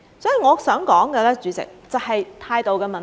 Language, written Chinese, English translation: Cantonese, 主席，我想說的就是態度的問題。, President it is this attitude problem which I want to point out